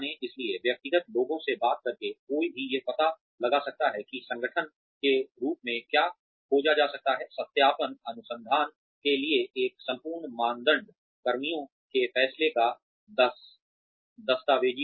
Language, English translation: Hindi, So, by speaking to individual people, one can find out, what the organization may be looking for as, a whole criteria for validation research, documenting personnel decisions